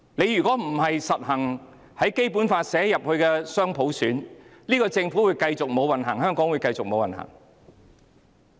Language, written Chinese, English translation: Cantonese, 如果不落實《基本法》訂明的雙普選，政府會繼續無運行、香港會繼續無運行。, If the dual universal suffrage stipulated in the Basic Law is not implemented the Government will have no luck and so will Hong Kong